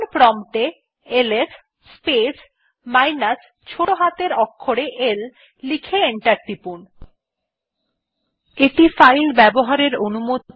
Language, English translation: Bengali, Just type the command ls space minus small l and press enter